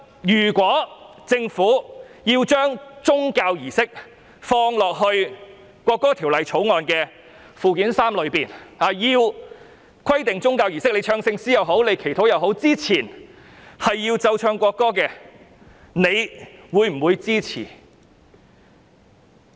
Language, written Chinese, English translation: Cantonese, 如果政府把宗教儀式的場合納入《條例草案》附表 3， 規定唱聖詩或祈禱前必須奏唱國歌，他們會否支持？, If the Government incorporates the occasion of religious services into Schedule 3 to the Bill to require that the national anthem must be played and sung before hymn singing or praying will they render their support?